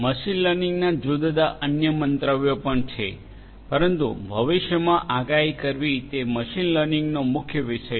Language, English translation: Gujarati, There are different different other views of machine learning as well, but making predictions in the future is something that you know that that is something that is central to the theme of machine learning